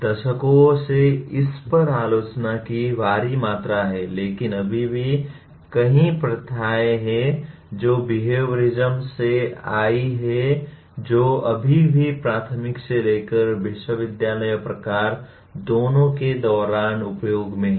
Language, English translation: Hindi, There has been enormous amount of criticism of this over the decades but still there are many practices that have come from behaviorism which are still in use during both elementary to university type of education